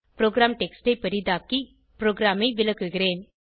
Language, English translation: Tamil, Let me zoom into the program text and explain the program